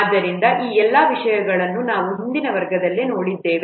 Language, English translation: Kannada, So all these things we have seen in the previous classes